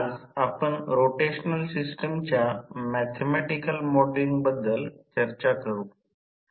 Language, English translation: Marathi, Today we will discuss about the mathematical modelling of rotational system